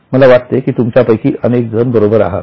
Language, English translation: Marathi, Yes, many of you are correct, I think